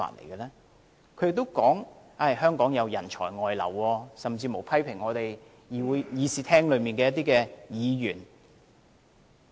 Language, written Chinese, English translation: Cantonese, 他也說，香港人才外流，甚至批評會議廳內一些議員。, He also said there is a brain drain in Hong Kong and even criticized some Members in the Chamber